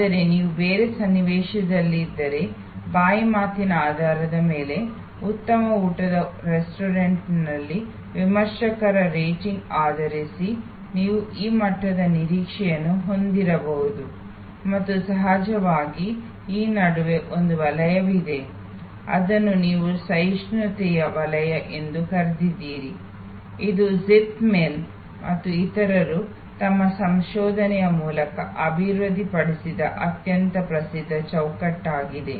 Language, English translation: Kannada, But, if you are in a different context then based on word of mouth, based on reviewers rating at a fine dining restaurant you may have this level of expectation and of course, there is a zone which is in between, which you called the zone of tolerance, this is a very famous framework developed by zeithaml others through their research